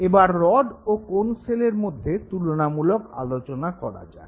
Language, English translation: Bengali, Now let us just compare the characteristics of the rod in the cone cells